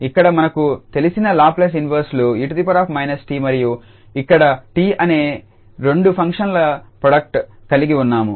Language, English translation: Telugu, So, here we have the product of two functions whose Laplace inverse inverses are known to us e power minus t and here t